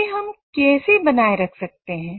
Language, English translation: Hindi, So how do we maintain that